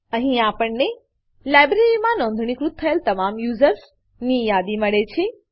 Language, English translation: Gujarati, Here, we get the list of all the users who have registered in the library